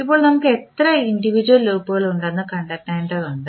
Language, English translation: Malayalam, Now, next is we need to find out how many individual loops we have